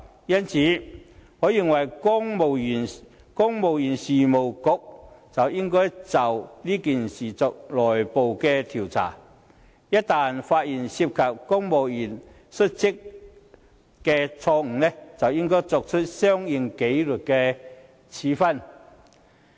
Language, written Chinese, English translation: Cantonese, 因此，我認為公務員事務局應就事件進行內部調查，一旦發現涉及公務員失職，便應該作出相應的紀律處分。, Therefore I believe the Civil Service Bureau should conduct an internal investigation into the incident and impose proper disciplinary measures in case of any negligence on the part of any civil servants